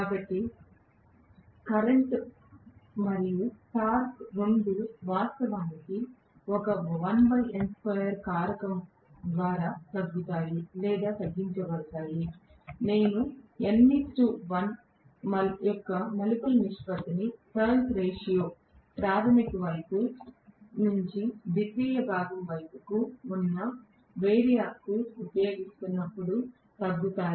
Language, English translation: Telugu, So, the current as well as the torque both are actually decremented or reduced by a factor of 1 by n square, when I am using n is to 1 as the turns ratio of the primary side to the secondary side in a variac